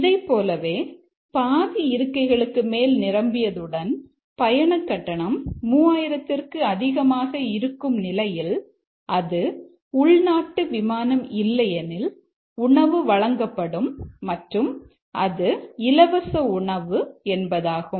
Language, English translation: Tamil, Similarly if it is more than half full and it is ticket cost is more than 3,000 but it's not a domestic flight, then meal is served and also it is free and so on